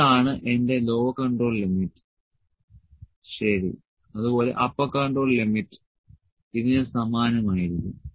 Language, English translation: Malayalam, So, this is my lower control limit, ok, similarly upper control limit would be very similar to this